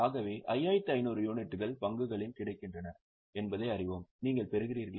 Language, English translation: Tamil, So, we come to know that 5,500 units are available in the stop